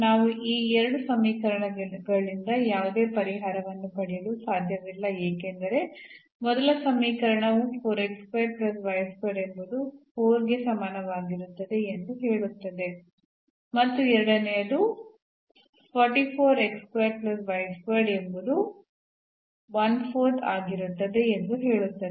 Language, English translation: Kannada, So, we cannot get any solution out of these 2 equations because first equation says 4 x square plus y square is equal to 4 while the second says that 4 x square plus y square will be 1 by 4